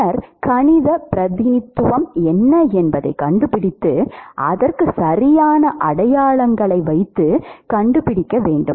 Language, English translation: Tamil, And then you find out what is the mathematical representation and then put the correct signs to it, done